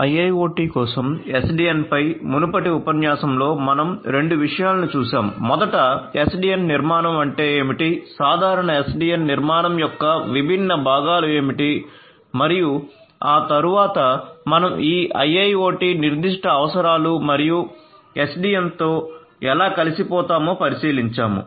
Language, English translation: Telugu, In the previous lecture on SDN for IIoT we looked at 2 things, first of all we understood what is the SDN architecture, what are the different components of a generic SDN architecture and there we thereafter we looked into this IIoT specific requirements and how SDN can integrate with a IIoT and catering to these particular requirements of IIoT in a much more efficient manner